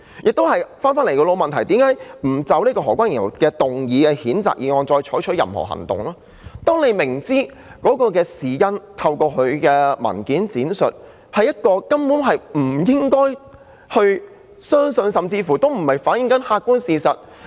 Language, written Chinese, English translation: Cantonese, 至於為何不就何君堯議員動議的譴責議案採取任何行動，是因為大家透過他的文件闡述，知道當中的事因根本不可信，甚至未能反映客觀事實。, As for why no action should be taken on the censure motion moved by Dr Junius HO everyone knows the whole story elaborated in his paper is not credible at all . It even fails to reflect the objective facts